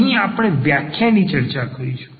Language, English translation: Gujarati, Here we are just providing the definitions